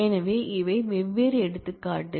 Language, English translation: Tamil, So, these are different examples